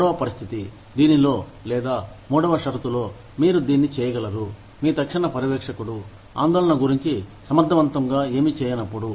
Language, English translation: Telugu, The third situation, in which, or, the third condition, in which, you can do this is, when your immediate supervisor, has done nothing effective, about the concerns